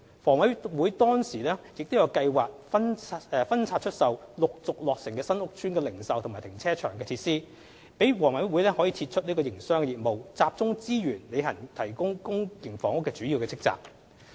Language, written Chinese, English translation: Cantonese, 房委會當時亦有計劃分拆出售陸續落成新屋邨的零售及停車場設施，讓房委會可撤出營商業務，集中資源履行提供公營房屋的主要職責。, HA also had plans at that time to divest the retail and carparking facilities of its new estates which would be completed in the coming years with a view to withdrawing from commercial operation and focusing on its core function as a provider of public housing